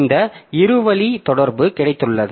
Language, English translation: Tamil, So, we have got this two way communication